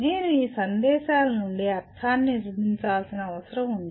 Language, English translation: Telugu, And I need to construct meaning from these messages